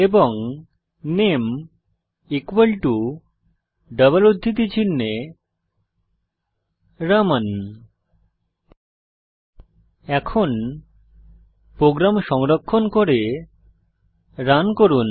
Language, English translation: Bengali, And name equal to within double quotes Raman Now Save and Run the program